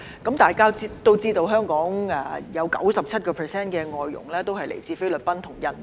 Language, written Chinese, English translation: Cantonese, 大家也知道，香港有 97% 的外傭來自菲律賓和印尼。, As Members also know 97 % of FDHs in Hong Kong come from the Philippines and Indonesia